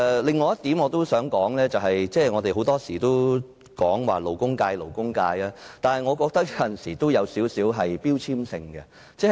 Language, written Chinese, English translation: Cantonese, 另一點我想說的是，我們經常提及勞工界，有時候我覺得這有少許標籤性質。, Another point I wish to make is that we often mention the labour sector . Sometimes I find this a bit like a label . The word labour sounds toilsome and eking out a living solely on manual labour